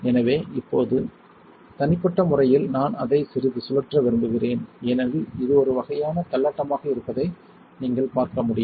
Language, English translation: Tamil, So now, that is holding personally I like to spin it a little bit as you can see it is kind of wobbly it is not cantered